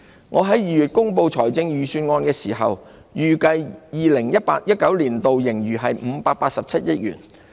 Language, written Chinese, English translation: Cantonese, 我在2月公布預算案時，預計 2018-2019 年度盈餘為587億元。, In presenting the Budget in February I forecast a surplus of 58.7 billion for 2018 - 2019